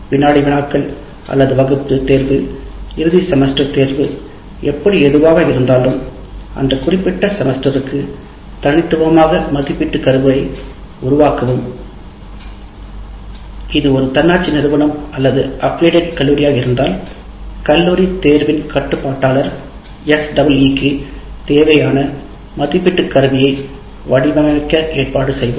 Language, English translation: Tamil, Whether it is quizzes or class tests or the end semester exam, if it is an autonomous institution, or otherwise if it is it is affiliated college the controller of exam will organize will arrange for design of assessment instrument for a C